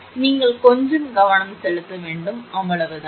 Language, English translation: Tamil, So, just you have to little bit concentrate and that is all